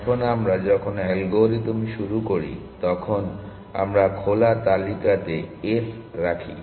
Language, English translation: Bengali, Now when we start the algorithm we put s on to open list